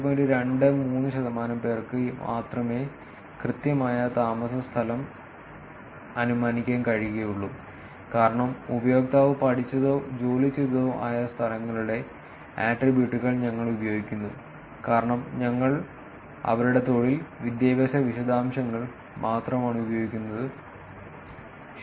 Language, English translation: Malayalam, 23 percent of the users, which is expected since we are using attributes of places where the user studied or worked, because here we are only using their employment and education details right